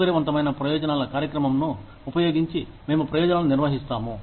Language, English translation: Telugu, We administer benefits, using a flexible benefits program